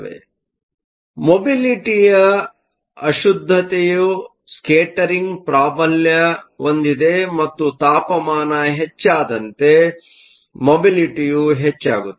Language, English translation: Kannada, So, the mobility is dominated by impurity scattering and as temperature increases, your mobility increases